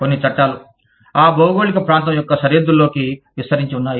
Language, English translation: Telugu, Some laws, extend across the boundaries, of that geographical region